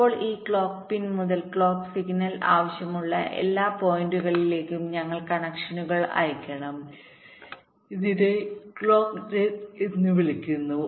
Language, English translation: Malayalam, ok now, from this clock pin we have to send out connections to every points where the clock signal is required